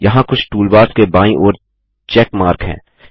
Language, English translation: Hindi, There is a check mark to the left of certain toolbars